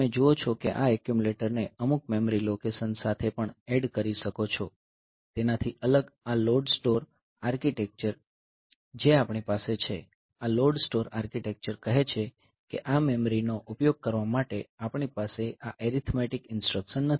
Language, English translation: Gujarati, So, you see that you can also add this accumulator with some memory location, in contrast so, this load store architecture that we have so, this load store architecture tells that we cannot have this arithmetic instructions to use this to use this memory like you cannot have this type of ADD say R1 comma M